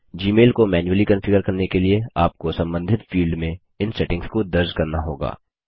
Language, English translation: Hindi, To configure Gmail manually, you must enter these settings in the respective fields